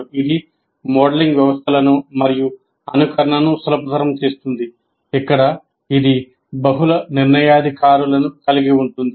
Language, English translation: Telugu, So it facilitates modeling systems and simulating where it consists of multiple decision makers